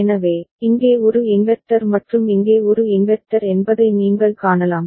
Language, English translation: Tamil, So, you can see here is a inverter and here is a inverter